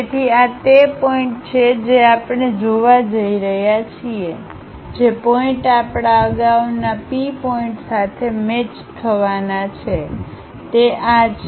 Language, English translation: Gujarati, So, these are the points what we are going to see, the points which are going to match with our earlier P point is this